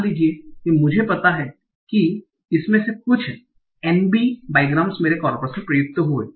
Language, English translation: Hindi, Suppose I know that out of these some nb bygrams occurred in my corpus